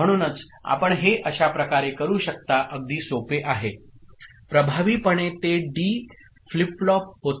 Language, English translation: Marathi, So, that is the way you can do it is very simple right, effectively it becomes a D flip flop right ok